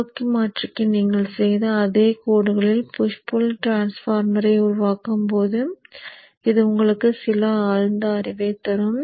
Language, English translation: Tamil, And this would give you some insight when you are making the push pull transformer along similar lines which you did for the forward converter